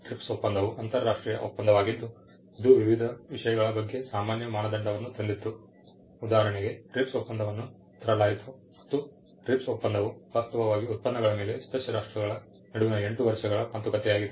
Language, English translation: Kannada, The TRIPS agreement being an international agreement, it brought a common standard on various things; for instance, that TRIPS agreement brought in and the TRIPS agreement was actually a product of close to 8 years of negotiations between the member countries